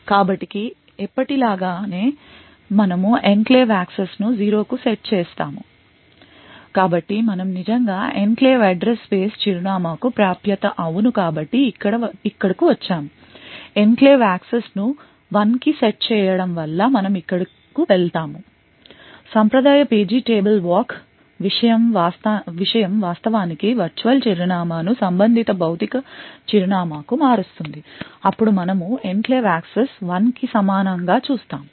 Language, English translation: Telugu, So as usual we set the enclave access to zero the enclave mode is yes so we actually come here is the access to address in the enclave address space this is yes so set enclave access to 1 we go here perform the traditional page table walk thing which will actually convert the virtual address to the corresponding physical address then we look at the enclave access equal to 1